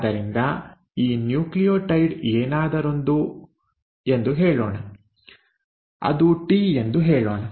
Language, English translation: Kannada, So if you have let us say a next, let us say this nucleotide was anything; let us say it was a T